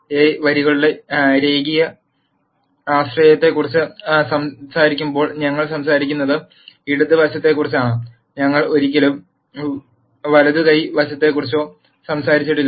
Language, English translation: Malayalam, When we talk about the linear dependence of the rows of A, we are only talking about the left hand side, we never talked about the right hand side